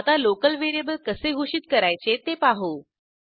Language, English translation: Marathi, Next, let us learn how to declare a variable locally